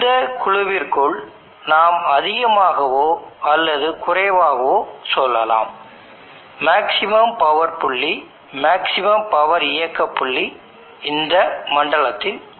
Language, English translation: Tamil, And we can say more or less within this band the maximum power point, maximum power operating point lie in this zone